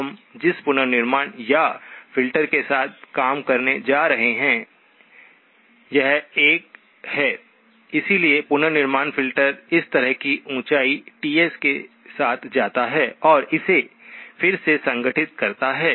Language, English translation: Hindi, So the reconstruction or the filter that we are going to be working with, this is 1, so the reconstruction filter goes like this with a height of Ts and reconstructs this